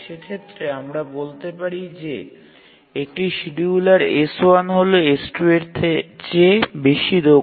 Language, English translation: Bengali, We say that a scheduler S1 is more proficient than S2